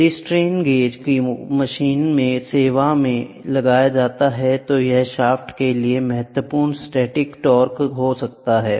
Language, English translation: Hindi, If the strain gauge are applied to the machine in service, then that might be significant static torque applied to the shaft